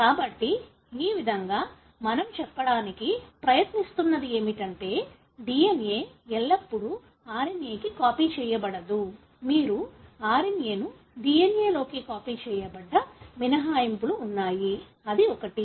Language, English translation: Telugu, So, in this way what we are trying to say is that it is not always that the DNA is copied to RNA; there are exceptions wherein you have RNA being copied into DNA; that is one